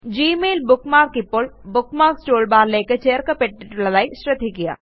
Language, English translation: Malayalam, Observe that the Gmail bookmark is now added to the Bookmarks toolbar